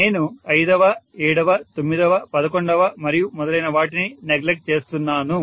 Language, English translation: Telugu, I am neglecting the fifth, seventh, ninth, eleventh and so on and so forth